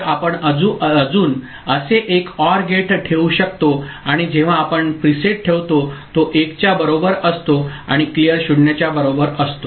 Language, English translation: Marathi, So, we can just put another such OR gate right and whenever we put preset is equal to 1 and a clear is equal to 0